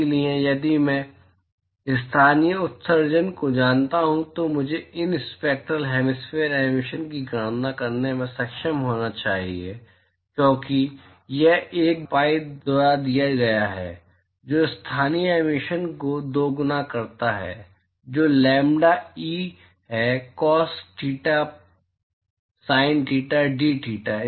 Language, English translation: Hindi, So, if I know the local emissivity, I should be able to calculate these spectral hemispherical emissivity because that is given by 1 by pi double integral the local emissivity which is lambda E into cos theta sin theta dtheta…